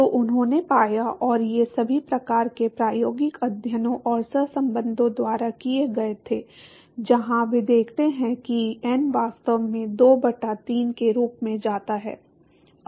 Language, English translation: Hindi, So, they found and these were done by all kinds of experimental studies and correlations, where they look found out that is n actually goes as 2 by 3